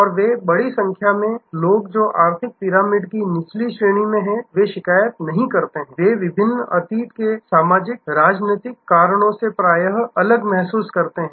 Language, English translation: Hindi, And a large number of people who are in the lower ranks of the economic pyramid, they many not complain, they feel diffident often, because of various past socio political reasons